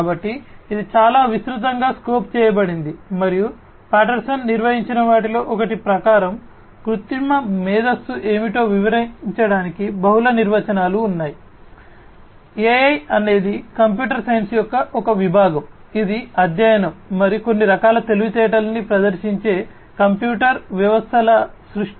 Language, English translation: Telugu, So, it is quite broadly scoped and there are multiple definitions to describe what artificial intelligence is, as per one of the definitions by Patterson; AI is a branch of computer science that deals with the study and the creation of computer systems that exhibit some form of intelligence